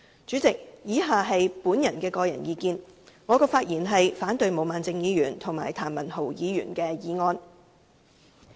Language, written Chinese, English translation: Cantonese, 主席，以下是我的個人意見，我發言反對毛孟靜議員及譚文豪議員的議案。, President the following is my personal opinion and I speak to oppose the motions proposed by Ms Claudio MO and Mr Jeremy TAM